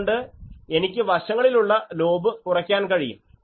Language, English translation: Malayalam, So, I can reduce the side lobes; obviously, I will have to increase the rating